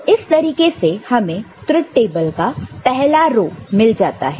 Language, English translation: Hindi, So, this completes the first row of this particular truth table